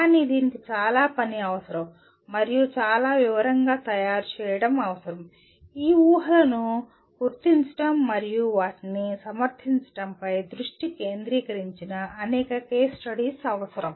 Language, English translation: Telugu, But this requires a lot of work and preparing a very very detail, several case studies of that where the focus is on identifying assumptions and justifying them